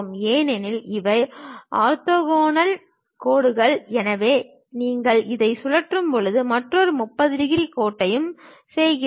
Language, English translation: Tamil, Because these are orthogonal lines; so when you are rotating it, the other one also makes 30 degrees line